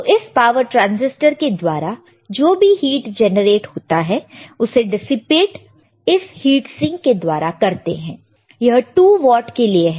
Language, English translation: Hindi, So, the heat generated by this power transistor is dissipated using this heat sink, this is for 2 watts to watts